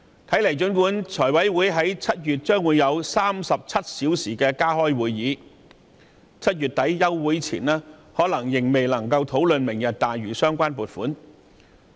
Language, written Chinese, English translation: Cantonese, 雖然財委會將於7月加開37小時會議，但在7月底暑期休會前，財委會可能仍然未能討論"明日大嶼"的相關撥款項目。, Although FC will have 37 hours of additional meeting in July it may not be able to discuss the funding item for Lantau Tomorrow by the end of July before the summer recess